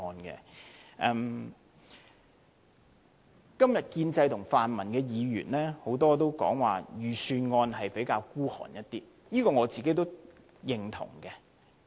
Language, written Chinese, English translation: Cantonese, 今天多位建制派和泛民的議員都說這份預算案較為吝嗇，我也認同這點。, Today many pro - establishment Members and pro - democracy Members have expressed the view that this Budget is rather stingy . I agree